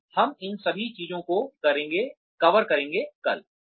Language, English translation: Hindi, So, we will cover all of these things, tomorrow